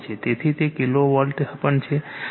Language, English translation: Gujarati, So, it is also kilovolt right